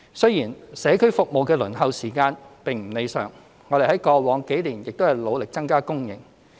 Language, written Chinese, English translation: Cantonese, 雖然社區照顧服務的輪候時間並不理想，但我們過往數年亦努力增加供應。, Despite the fact that the waiting time for community care services is far from satisfactory we have striven hard to increase the service supply in the past few years